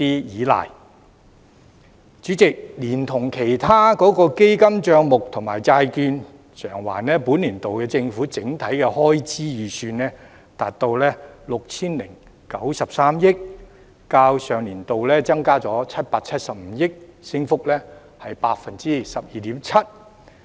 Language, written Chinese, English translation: Cantonese, 代理主席，連同其他基金帳目及債券償還，本年度的政府整體開支預算，達到 6,093 億元，較上年度增加了775億元，升幅為 12.7%。, Deputy Chairman factoring other fund accounts and repayment of government bonds and notes into the calculation the estimated total government expenditure for the current year reaches 609,300,000,000 representing a year - on - year increase of 12.7 % or 77,500,000,000